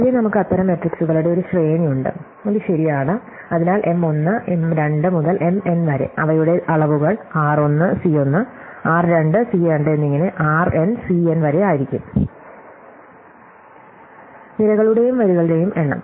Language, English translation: Malayalam, So, in general we’ll have a sequence of M such matrices, it is right, so M 1, M 2 up to M n and their dimensions will be r 1 C 1, r 2 C 2 up to r n C n number of rows, number of columns